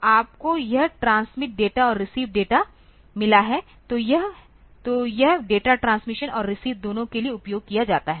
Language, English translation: Hindi, So, you have got this transmit data and receive data; so, this; so, this is data is used for both transmission and receive